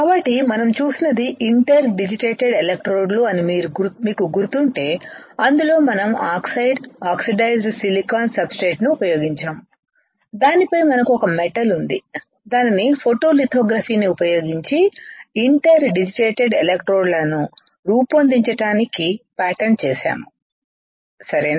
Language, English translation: Telugu, So, if you remember the what we have seen is the interdigitated electrodes right and in that we have used oxide oxidized silicon substrate, on which we have a metal which were which was patterned using photolithography to form interdigitated electrodes right